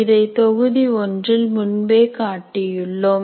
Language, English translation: Tamil, So we have shown this earlier in the module 1 as well